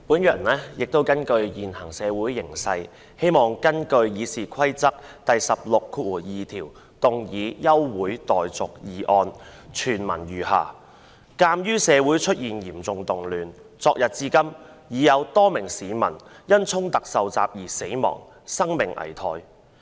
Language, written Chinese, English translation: Cantonese, 主席，因應現時的社會形勢，我希望根據《議事規則》第162條動議休會待續議案，措辭如下："鑒於社會出現嚴重動亂，昨日至今已有多名市民因衝突受襲而死亡，生命危殆。, President in view of the current conditions of society I wish to move an adjournment motion under Rule 162 of the Rules of Procedure RoP . The wording is as follows Given that serious disturbances have taken place in society there have been a number of members of the public who died or are in critical condition after being attacked in clashes since yesterday